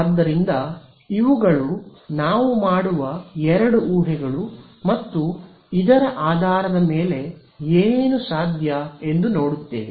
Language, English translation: Kannada, So, these are the two assumptions that we will make and based on this we will see how can we solve this right